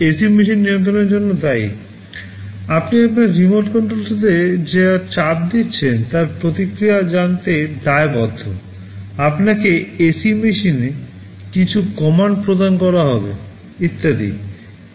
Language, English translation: Bengali, It is responsible for controlling the AC machine, it is responsible for responding to whatever you are pressing on your remote control, you are given giving some commands to the ac machine and so on